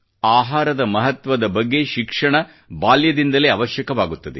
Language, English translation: Kannada, The education regarding importance of food is essential right from childhood